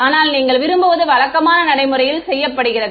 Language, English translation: Tamil, But what you want is usually done in practice is